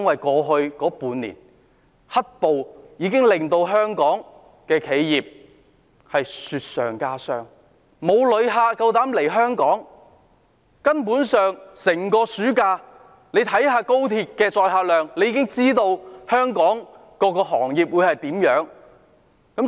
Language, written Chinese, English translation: Cantonese, 過去半年，"黑暴"令香港企業雪上加霜，沒有旅客敢來港，看看暑假高鐵的載客量，便已知道香港各行各業的情況。, Over the past half a year black terror has further aggravated the plight of Hong Kong enterprises and no tourists dare to come to Hong Kong . One will know the conditions of all industries of Hong Kong if he takes a look at the passenger throughput of the Express Rail Link in the summer